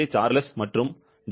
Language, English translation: Tamil, Charles and J